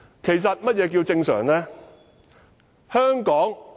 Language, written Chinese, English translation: Cantonese, 其實，何謂"正常"？, In fact what is meant by normal?